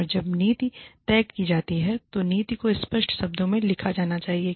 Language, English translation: Hindi, And, when the policy is decided, the policy should be written down, in clear cut terms